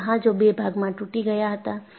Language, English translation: Gujarati, This ship broke into two